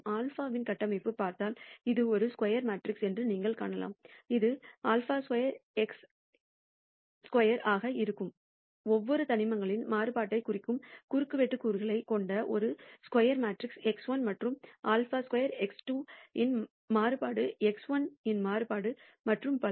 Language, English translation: Tamil, And if you look at the structure of sigma you will find that it is a square matrix with the diagonally elements representing the variance of each of the elements that is sigma squared x 1 is the variance of x 1 and sigma squared x 2, the variance of x 1 and so on, so forth